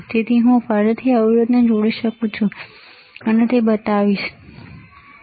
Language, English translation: Gujarati, So, I can again connect the resistor I will just show it to you, this way, you see